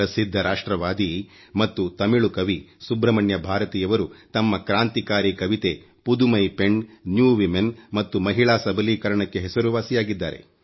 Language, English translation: Kannada, Renowned nationalist and Tamil poet Subramanya Bharati is well known for his revolutionary poem Pudhumai Penn or New woman and is renowned for his efforts for Women empowerment